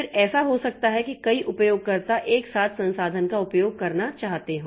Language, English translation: Hindi, Then there may be that multiple users they want to use the resource simultaneously